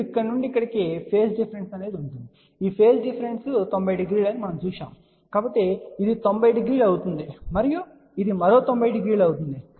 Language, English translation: Telugu, Now there will be a phase difference from here to here we have seen that this phase difference is 90 degree, so this will be 90 degree and this will be another 90 degree